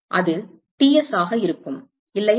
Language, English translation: Tamil, It will be Ts, right